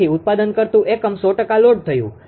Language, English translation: Gujarati, So, generating unit loaded 100 percent